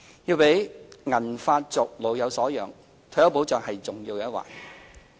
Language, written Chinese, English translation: Cantonese, 要讓"銀髮族"老有所養，退休保障是重要的一環。, To enable the silver hair generation to enjoy a sense of security retirement protection has an important part to play